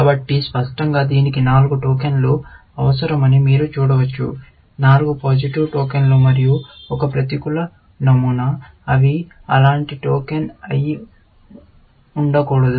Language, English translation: Telugu, So, obviously, you can see that this needs four tokens; four positive tokens, and one negative pattern, which stands for the fact that they must be no such token